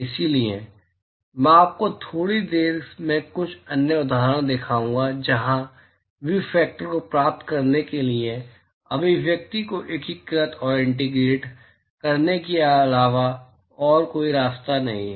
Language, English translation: Hindi, So, I will show you some other example in a short while where there is no other way other than to integrate the expression to get the view factors